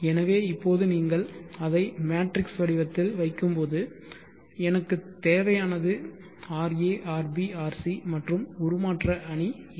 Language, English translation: Tamil, So now when you put it into the matrix form so what I need is RA,RV,RC and what is the transformation matrix you can look at it now ra